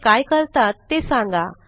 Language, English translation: Marathi, And Find out What do they do